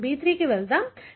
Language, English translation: Telugu, Let us go to B3